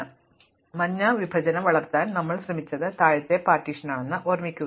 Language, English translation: Malayalam, So, remember that we have trying to grow the yellow partition is the lower partition